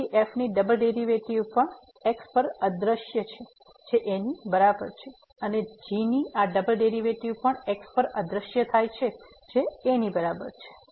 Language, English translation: Gujarati, So, the double derivative of also vanish at is equal to and this double derivative of also vanishes at is equal to